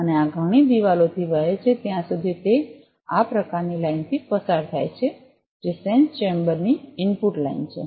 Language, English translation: Gujarati, And this flows through a several walls are there so it passes, through this kind of line so, which is the input line of the sensor chamber